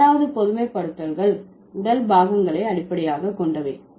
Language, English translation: Tamil, So, these six generalizations are based on the body parts